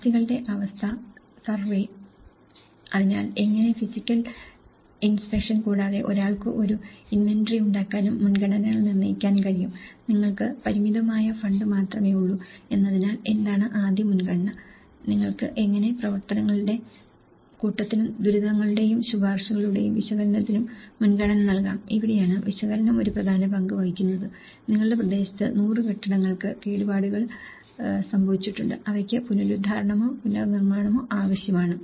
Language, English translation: Malayalam, Condition survey of assets; so how physical inspection and also one can make an inventory and determining the priorities you know, what is the first priority because you only have a limited fund, how you can priorities the set of activities and analysis of distress and recommendations so, this is where the analysis plays an important role, you have hundred buildings damaged in the locality which needs restoration or reconstruction